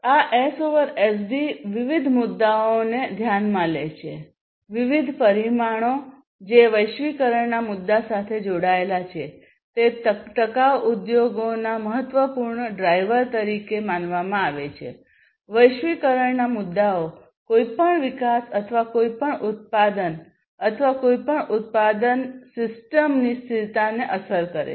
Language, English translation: Gujarati, So, this S over SD considers different issues, different parameters some of these parameters are linked to the issue of globalization, which is basically considered as one of the important drivers of sustainable industries, globalization issues affect the sustainability of any development or any manufacturing or any production system